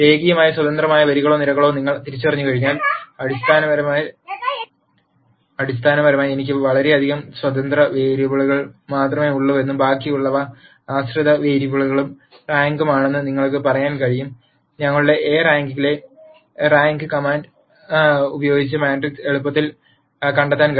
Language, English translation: Malayalam, And once you identify these number of linearly independent rows or columns then you could basically say that I have only so many independent variables and the remaining are dependent variables and the rank of the matrix can be easily found using the rank command in our rank of A